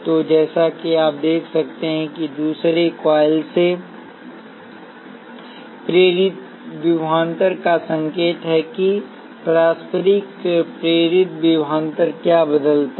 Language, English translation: Hindi, So, as you can see, the sign of the induced voltage from the other coil that is the mutual induced voltage is what changes